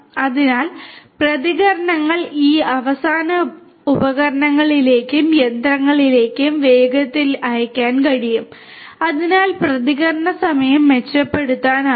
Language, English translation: Malayalam, So, that the responses can be sent to these end equipment and machinery quickly so, the response time could be improved